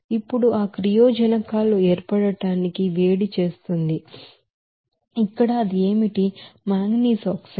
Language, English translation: Telugu, Now heats of formation of that reactants simply here what will be that, manganese oxide